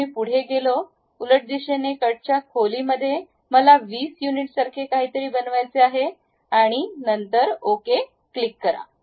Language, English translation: Marathi, So, I went ahead, reversed the direction may be depth of cut I would like to make it something like 20 units and then click ok